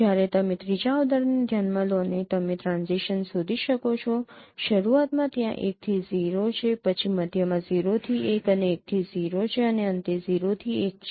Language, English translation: Gujarati, Whereas you consider the third example and you can find the transitions in the beginning there is 1 to 0 then in the middle there is 0 to 1 and 1 to 0 and at the end there is 0 to 1